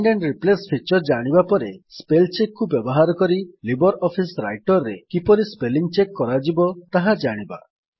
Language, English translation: Odia, After learning about Find and Replace feature, we will now learn about how to check spellings in LibreOffice Writer using Spellcheck